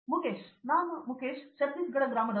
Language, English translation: Kannada, Myself Mukesh, I am from village of Chhattisgarh